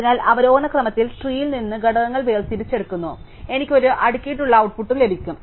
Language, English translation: Malayalam, So, I am extracting elements from the tree in descending order, and so I get a sorted output